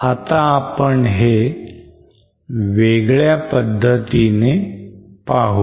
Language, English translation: Marathi, So now let me explain it in a different way